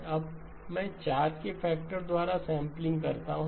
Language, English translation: Hindi, Now I do the up sampling by a factor of 4